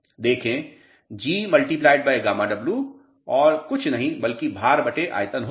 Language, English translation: Hindi, See, G into gamma W will be nothing but weight upon volume